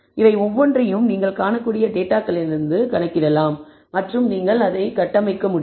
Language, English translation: Tamil, So, every one of this can be computed from the data as you can see and you can construct